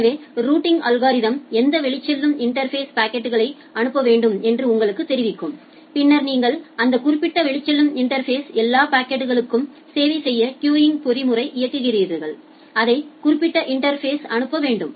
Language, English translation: Tamil, So, the routing algorithm will take tell you that in which outgoing interface the packet need to be forwarded to and then in that particular outgoing interface you run the queuing mechanism to serve the packets to serve all the packets, which need to be forwarded to that particular interface